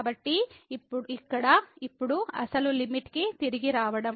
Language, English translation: Telugu, So, here now getting back to the original limit